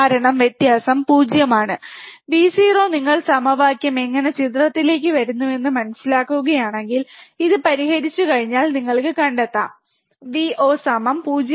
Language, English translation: Malayalam, Since, the difference is 0, the Vo if you if you really go on understanding how the equation comes into picture, if you find out that once you solve this you can find Vo equals to 0 minus V 1 by R 1 into R 2